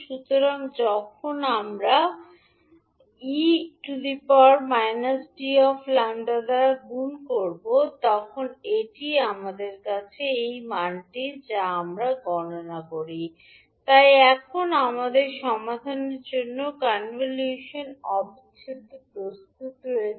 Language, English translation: Bengali, So then when we multiply by e to the power minus t minus lambda d lambda that is again the value which we computed so we have now the convolution integral ready to be solved